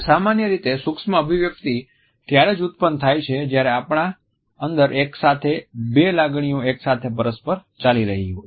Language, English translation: Gujarati, Micro expressions occur normally when there are two conflicting emotions going on in our heart simultaneously